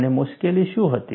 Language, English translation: Gujarati, And, what was the difficulty